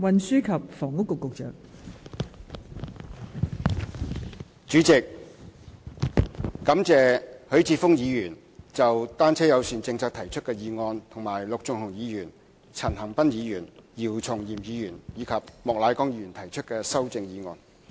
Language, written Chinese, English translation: Cantonese, 代理主席，我感謝許智峯議員就單車友善政策提出的議案，以及陸頌雄議員、陳恒鑌議員、姚松炎議員和莫乃光議員提出的修正案。, Deputy President I thank Mr HUI Chi - fung for proposing the motion on bicycle - friendly policy and Mr LUK Chung - hung Mr CHAN Han - pan Dr YIU Chung - yim and Mr Charles Peter MOK for proposing the amendments